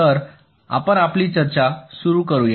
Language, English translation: Marathi, so we continue with our discussion